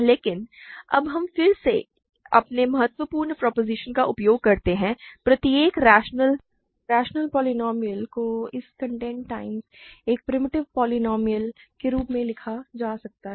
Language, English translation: Hindi, But now again we use our crucial proposition: every rational polynomial can be written as its content times a primitive polynomial